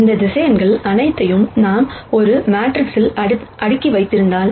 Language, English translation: Tamil, If we were to stack all of these vectors in a matrix like this